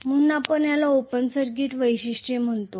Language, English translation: Marathi, So, we call this as open circuit characteristics